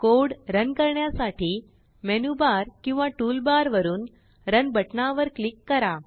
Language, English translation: Marathi, Click on the Run button from Menu bar or Tool bar to run the code